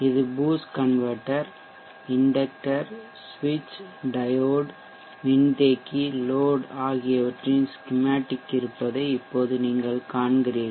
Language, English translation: Tamil, Now we will see that this is schematic of the boost converter, inductor, switch, diode, capacitor, load